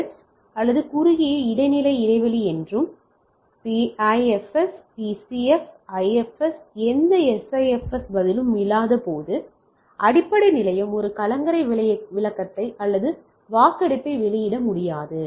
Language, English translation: Tamil, So, this is the short IFS; so, some short interstine spacing and PIFS PCF IFS when no SIFS response the base station can issue a beacon or poll alright